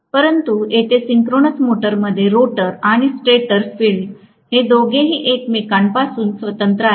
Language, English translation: Marathi, Whereas here in synchronous motor the rotor and the stator field both of them are independent of each other